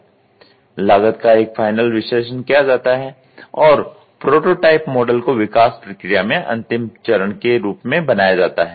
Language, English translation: Hindi, A final cost analysis is performed and prototype model is produced as a final step in the development process